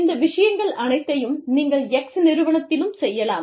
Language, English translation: Tamil, And, all these things, you could have expatriates, in firm X, also